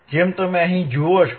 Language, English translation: Gujarati, And what we see here